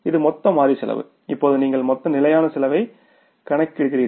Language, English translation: Tamil, This is the total variable cost and now we will go for the less fixed cost